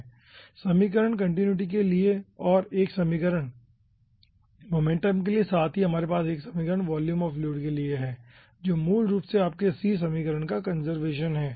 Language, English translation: Hindi, here we are getting actually 3 equations: 1 equation for ah, ah continuity and 1 equation for momentum, and along with that we are having 1 volume of fluid equation, which is basically your conservation of c equation